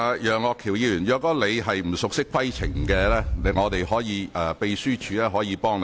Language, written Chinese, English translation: Cantonese, 楊岳橋議員，如果你不熟悉規程，秘書處可以提供協助。, Mr Alvin YEUNG you can seek assistance from the Secretariat if you are not familiar with the procedures for handling points of order